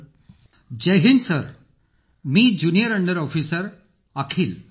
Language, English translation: Marathi, Jai Hind Sir, this is Junior under Officer Akhil